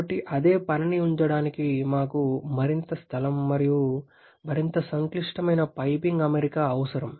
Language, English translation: Telugu, So we need more space to house the same thing and also more complicated piping arrangement